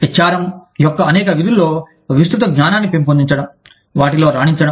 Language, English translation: Telugu, Developing broad knowledge of, many functions of HRM, excelling in them